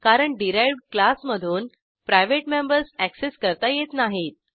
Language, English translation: Marathi, This is because the private members are not accessed by the derived class